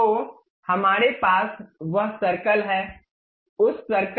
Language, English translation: Hindi, So, we have that circle